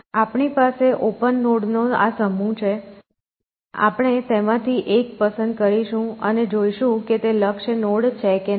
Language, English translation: Gujarati, We have this set of open nodes, we will pick one from there and see whether that is a goal node or not essentially